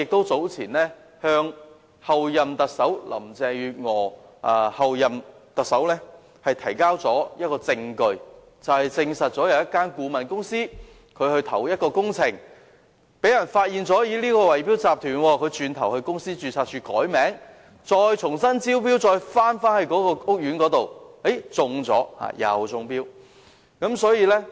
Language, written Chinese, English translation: Cantonese, 早前，我曾向候任特首林鄭月娥提交證據，證實一間顧問公司在投標工程時被人發現是圍標集團，其後它到公司註冊處改名，然後再回頭就該屋苑的工程重新參與投標，最後更中標了。, Some time ago I provided evidence to the Chief Executive - elect Carrie LAM about a consultancy found to be a bid - rigging syndicate in bidding for engineering works . Subsequently it changed the company name at the Companies Registry and again submitted a tender for works in the same housing estate and was ultimately awarded the contract